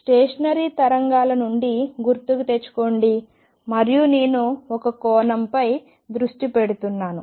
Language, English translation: Telugu, Recall from the stationary waves and I am focusing on one dimension